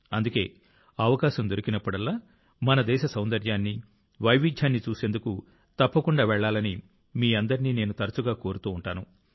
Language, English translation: Telugu, That's why I often urge all of you that whenever we get a chance, we must go to see the beauty and diversity of our country